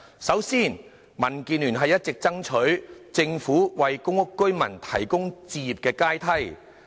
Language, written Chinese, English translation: Cantonese, 首先，民建聯一直爭取政府為公屋居民提供置業階梯。, First of all DAB has all along been urging the Government to build a housing ladder for PRH residents